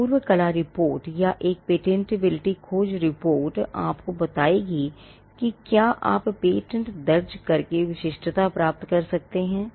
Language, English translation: Hindi, Now a prior art report or a patentability search report will tell you whether you can achieve exclusivity by filing a patent